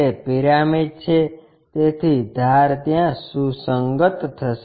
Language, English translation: Gujarati, It is a pyramid, so edges will coincide there